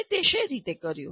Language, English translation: Gujarati, How do you do it